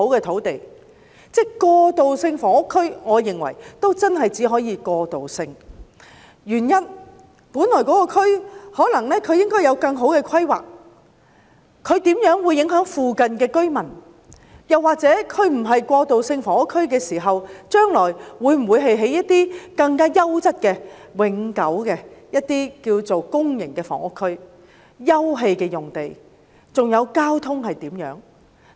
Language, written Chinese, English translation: Cantonese, 我認為過渡性房屋區只可以屬過渡性，原因是那個地區本來可能有更好的規劃，或現正在某些方面影響附近居民，或者若非用來興建過渡性房屋，將來會否發展為更優質、永久的公營房屋區或休憩用地呢？, I think transitional housing can only be transitional because the area should have better future planning or it is currently affecting the nearby residents in certain respect or if it is not used for developing transitional housing will it be developed into better permanent public housing or sitting out area in the future?